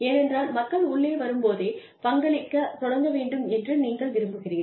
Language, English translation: Tamil, Because, you want people to immediately start contributing, when they come in